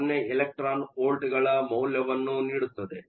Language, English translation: Kannada, 30 electron volts, which is 0